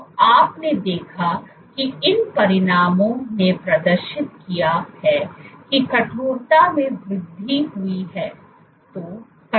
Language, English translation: Hindi, So, you saw that she demonstrated these results demonstrated increase in stiffening